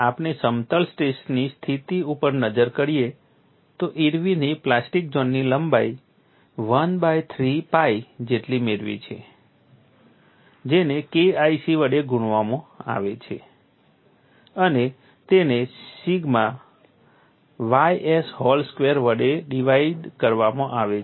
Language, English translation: Gujarati, We have looked at in plane strain situation Irwin has obtained the plastic zone length as 1 by 3 pi multiplied by K 1c divided by sigma y s whole square